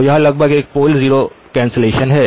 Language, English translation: Hindi, So it is almost doing a pole zero cancellation